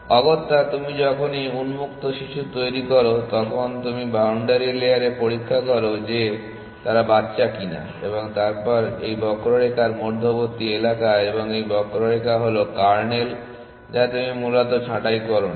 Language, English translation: Bengali, Essentially, every time you generate children of open you check on the boundary layer if they are children or not and then this is the area between this curve and this curve is the kernel which you have not pruned essentially